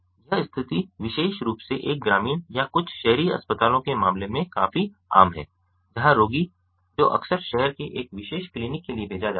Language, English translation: Hindi, this situation is quite common, especially in the case of a rural or some urban hospitals where the patient which quite often referred to a specialized